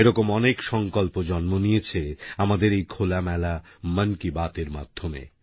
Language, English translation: Bengali, Many a resolve such as these came into being on account of our conversations & chats through Mann Ki Baat